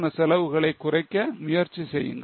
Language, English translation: Tamil, Let us try to compute the PV ratio